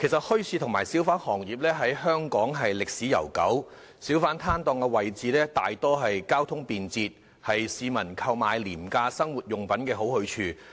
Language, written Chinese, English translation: Cantonese, 墟市和小販行業在香港歷史悠久，小販攤檔大多數在交通便捷的位置，是市民購買廉價生活用品的好去處。, The bazaar and hawker industries have a long history in Hong Kong and most hawker stalls are set up at convenient locations where the public can buy daily necessities at very low prices